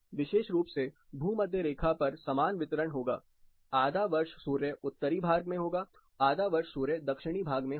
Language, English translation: Hindi, Especially, on an equator there will be equal distribution, half of the year sun will be to the Northern side, half of the year sun will be to the Southern side